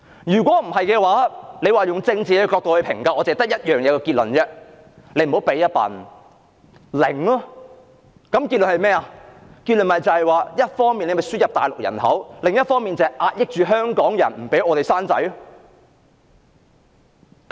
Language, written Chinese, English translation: Cantonese, 若以政治角度作出評價，只有一個結論，那就是政府倒不如不要提供任何侍產假，一方面輸入大陸人口，另一方面則壓抑香港人，不讓我們生育下一代。, If judging from a political perspective we can only come up with one conclusion and that is the Government might as well opt not to grant any paternity leave while admitting immigrants from the Mainland on the one hand and suppressing Hong Kong peoples aspirations for having children on the other